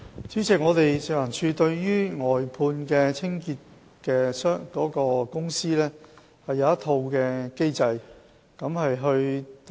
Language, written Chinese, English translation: Cantonese, 主席，食環署對於外判的清潔公司設有一套機制。, President FEHD has put in place a mechanism concerning cleansing contractors